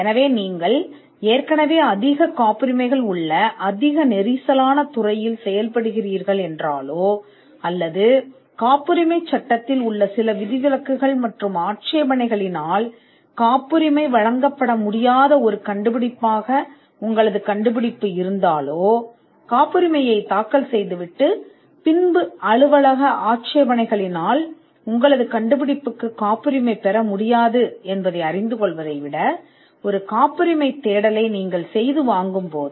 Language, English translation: Tamil, So, if you are operating in a heavily crowded field, where there are other patents, or if your invention is an invention that would not be granted a patent due to certain objections or exceptions in the patent law, then you would save much more in costs if you get a patentability search done rather than filing a patent, and then realizing through office objections that your invention cannot be patented